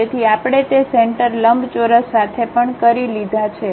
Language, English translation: Gujarati, So, we are done with that center rectangle also